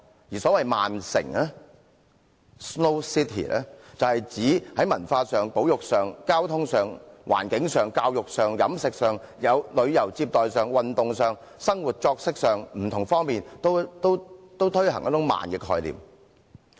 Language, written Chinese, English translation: Cantonese, 而所謂"慢城"，是指在文化、保育、交通、環境、教育、飲食、旅遊接待、運動、生活作息等不同方面均推行一種慢的概念。, The so - called slow cities promote a concept of slow pace in various aspects such as culture conservation transport environment education food tourism and hospitality sports and daily routine